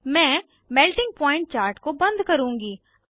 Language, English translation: Hindi, I will close Melting point chart